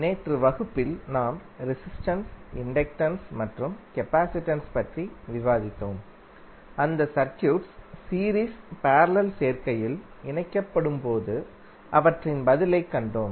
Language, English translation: Tamil, So yesterday in the class we discussed about the resistance, inductance and capacitance and we saw the response of those circuits when they are connected in series, parallel, combination